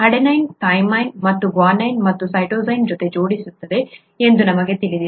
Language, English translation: Kannada, We know that adenine pairs up with thymine and guanine with cytosine